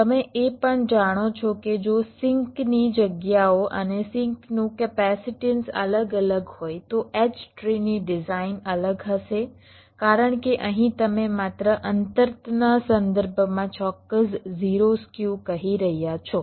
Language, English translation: Gujarati, also, if the sink locations and sink capacitances are vary[ing], then the design of the h tree will be different, because here you are saying exact zero skew only with respect to the distances